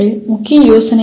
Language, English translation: Tamil, What was the main idea …